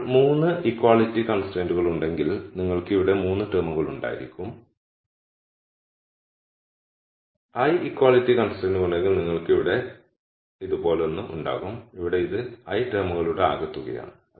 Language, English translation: Malayalam, Now, if there are 3 equality constraints, then you would have 3 terms here and if there are l equality constraints you will have something like this here where this is sum of l terms